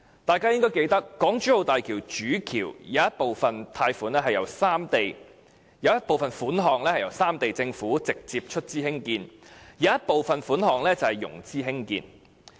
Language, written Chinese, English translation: Cantonese, 大家應該記得，港珠澳大橋主橋部分興建費用由三地政府直接出資，部分則透過融資提供。, We should be able to recall that the construction cost of HZMB is partly met by direct capital investments of the governments of the three regions and partly met by loans